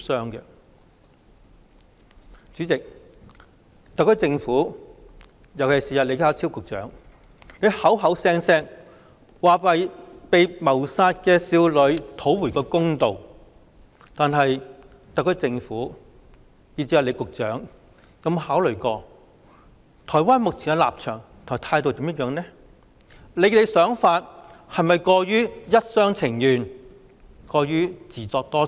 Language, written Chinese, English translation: Cantonese, 代理主席，特區政府——尤其是李家超局長——動輒說要為被殺害的少女討回公道，但特區政府以至李局長有否考慮台灣目前的立場和態度，想法又是否過於一廂情願、自作多情？, Deputy President the SAR Government particularly Secretary John LEE have reiterated the need to seek justice for the victimized teenage girl . However have the SAR Government and even Secretary John LEE ever considered Taiwans current position and stance and whether their plan is just wishful thinking on their part?